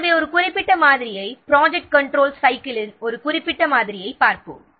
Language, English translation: Tamil, So, this is how a model of the project control cycle looks